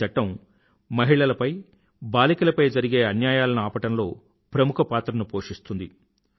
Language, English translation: Telugu, This Act will play an effective role in curbing crimes against women and girls